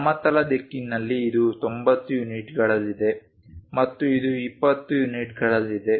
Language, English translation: Kannada, In the horizontal direction it is at 90 units and this is at 20 units